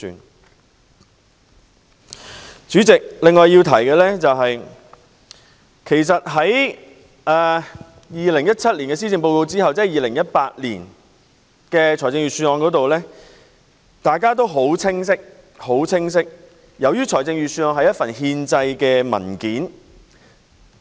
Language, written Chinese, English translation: Cantonese, 代理主席，我要提出的另一點是，在2017年的施政報告發表後便有2018年的財政預算案，大家也很清楚預算案屬憲制文件。, Deputy President another point which I would like to raise is that the Budget 2018 came after the presentation of the 2017 Policy Address . We are fully aware that the Budget is a constitutional document